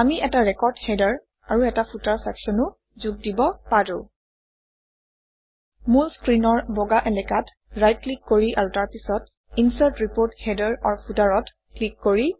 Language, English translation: Assamese, We can also add a record header and a footer section by right clicking on the main screen in the white area and clicking on the Insert Report Header/Footer